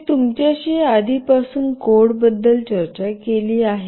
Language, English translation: Marathi, I have already discussed the codes with you